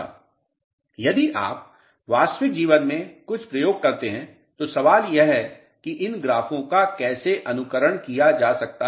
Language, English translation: Hindi, If you perform some experiments in real life the question is how these graphs can be simulated